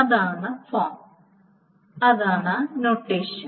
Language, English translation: Malayalam, So that is the form, that is the notation